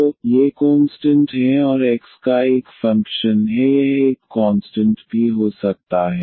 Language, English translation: Hindi, So, these are the constants and X is a function of x it can be also a constant, but in general we can take as a function of x